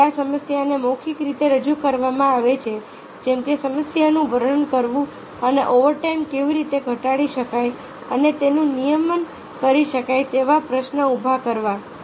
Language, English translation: Gujarati, the problem is presented verbally, such as narrating the issue and posing the question: how can the overtime be reduced and regulated